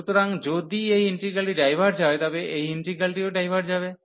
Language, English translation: Bengali, So, if this interval diverges, then this integral will also a diverge